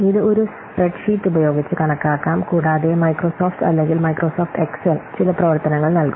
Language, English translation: Malayalam, It can be calculated using a spreadsheet and also Microsoft Excel, it provides some functions